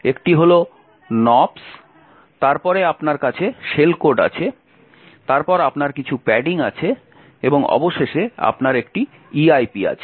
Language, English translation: Bengali, One is nops then you have the shell code then you have some padding and finally you have an EIP